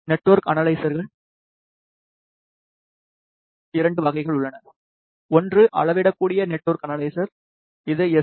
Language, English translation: Tamil, There are 2 types of network analyzers; one is a scalar network analyzer which is SNA